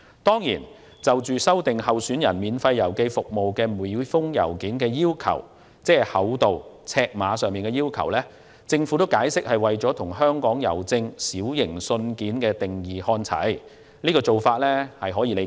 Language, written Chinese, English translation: Cantonese, 當然，就修訂候選人免費郵寄每封信件的厚度和尺碼規定，政府解釋是為了與香港郵政就"小型信件"所定的尺碼限制看齊，這種做法可以理解。, Regarding the amendments to the thickness and size of each postage - free letter to be sent by candidates the Governments explanation is that the amendment is to align with the size limit of small letters defined by Hongkong Post . This approach is understandable